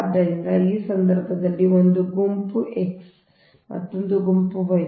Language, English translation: Kannada, so in this case, as it is, one is group x, another is group y